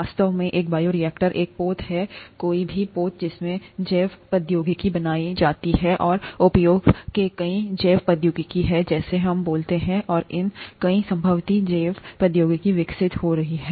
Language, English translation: Hindi, In fact, a bioreactor is a vessel, any vessel in which bioproducts are made, and there are so many bioproducts of use as we speak and there are many more potential bioproducts being developed